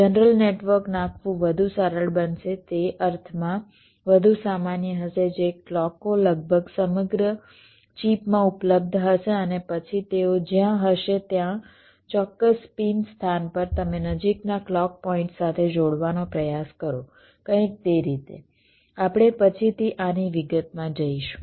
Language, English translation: Gujarati, it will be more generic in the sense that clocks will be available almost all throughout the chip and then the exact pin location, wherever they are, you try to connect to the nearest clock point, something like that